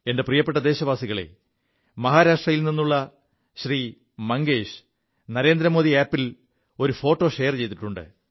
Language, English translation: Malayalam, My dear countrymen, Shri Mangesh from Maharashtra has shared a photo on the Narendra Modi Mobile App